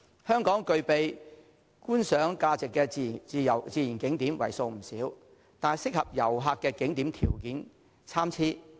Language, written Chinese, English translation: Cantonese, 香港具備觀賞價值的自然景點為數不少，但適合旅客的景點條件參差。, There are many natural scenic areas in Hong Kong which are worth visiting but the conditions of areas suitable for visitors vary